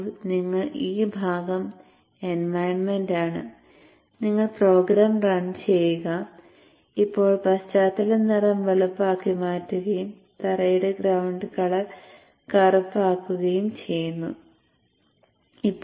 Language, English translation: Malayalam, Now you are into the Engie Spice environment you have you ran the program and now let me set the background color to white and set the foreground color to black